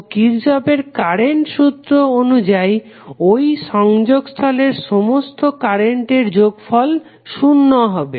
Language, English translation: Bengali, So, as per Kirchhoff Current Law your some of the currents at that junction would be 0, so what you can say